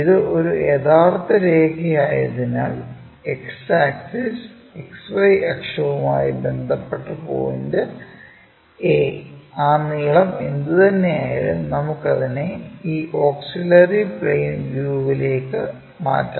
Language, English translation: Malayalam, Because it is a true line, the point a with respect to X axis XY axis whatever that length we have that length we will transfer it to this auxiliary plane view